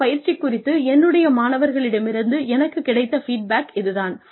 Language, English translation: Tamil, This is the feedback; I have received from my students, about this particular exercise